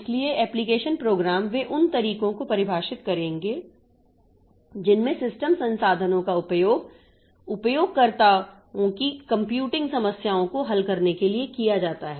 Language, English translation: Hindi, So, application programs they will define the ways in which the system resources are used to solve the computing problems of the users